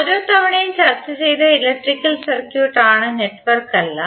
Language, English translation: Malayalam, Till now we have discussed like every time we use electrical circuit not the network